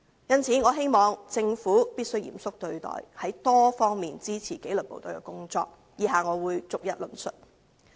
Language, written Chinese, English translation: Cantonese, 因此，我希望政府必須嚴肅對待，從多方面支持紀律部隊的工作，以下我會逐一論述。, Hence I hope the Government will address the matter seriously and support the work of the disciplined services in various aspects . I am going to expound on them one by one